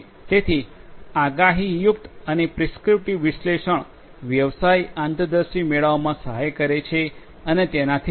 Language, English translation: Gujarati, So, both predictive and prescriptive analytics can help in getting business insights and so on